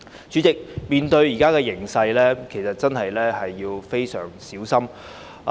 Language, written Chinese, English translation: Cantonese, 主席，面對當前的形勢，其實真的要非常小心。, President caution is indeed badly warranted in view of the prevailing circumstances